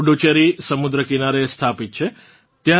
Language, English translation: Gujarati, Puducherry is situated along the sea coast